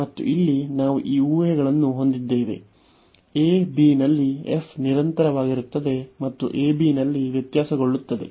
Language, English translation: Kannada, And here we had this assumptions that f is continuous on the close interval a, b and differentiable on the open interval a, b